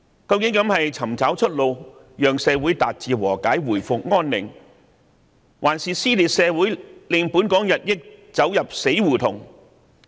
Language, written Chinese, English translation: Cantonese, 究竟這是尋找出路，讓社會達致和解、回復安寧，抑或是撕裂社會，令香港進一步走入死胡同？, I wonder whether this is to search for a way out for society to achieve reconciliation and return to peace or to rip society further apart and lead Hong Kong into a dead alley?